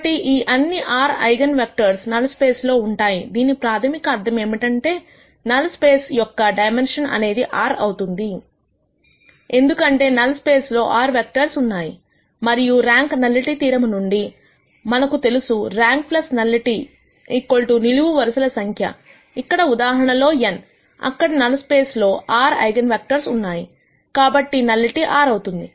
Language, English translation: Telugu, So, all of these r eigenvectors are in the null space which basically means that the dimension of the null space is r; because there are r vectors in the null space; and from rank nullity theorem, we know that rank plus nullity is equal to number of columns in this case n; since there are r eigenvectors in the null space, nullity is r